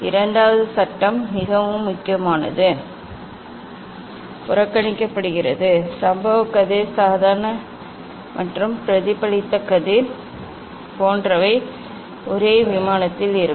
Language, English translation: Tamil, Second law is ignored what is very important; like incident ray normal and reflected ray remain on a same plane